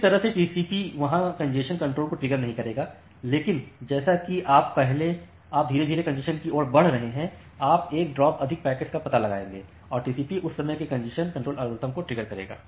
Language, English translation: Hindi, So, that way TCP will not get triggered a congestion control there, but as you are gradually moving towards congestion, you will detect a drop more packet and TCP will trigger the congestion control algorithm at that instance of time